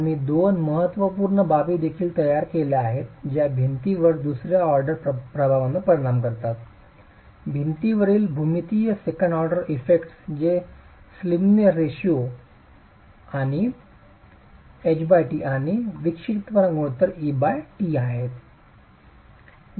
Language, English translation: Marathi, We have also built in two important aspects that affect the second, the second order effects on the wall, the geometric second order effects on the wall which are the slenderness ratio H by T and the eccentricity ratio E by T